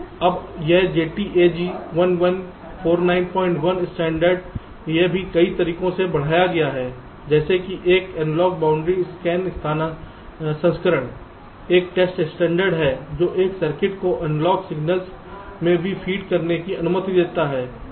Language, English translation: Hindi, now this jtag eleven, fourteen and dot one standard this has been extended also in a number of different ways, like there has been and analog boundary scan version, a test standard which which allows also analog signals to be fed to a circuit